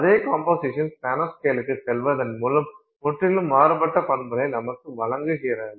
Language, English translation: Tamil, The same composition is giving you completely different properties by going to the nano scale